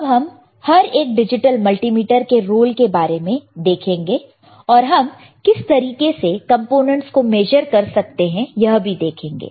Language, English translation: Hindi, Now, let us see the role of each digital multimeter, and how I can measure the components, all right